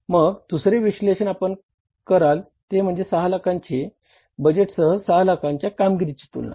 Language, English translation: Marathi, Then the second analysis you will do is that is the say the comparison of the performance of 6 lakhs with the budget of 6 lakhs